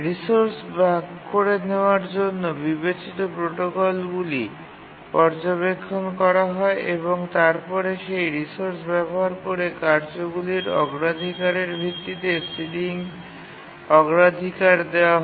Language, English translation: Bengali, But if you look at the protocols that we considered for resource sharing, we assign ceiling priority based on the priorities of the tasks that use that resource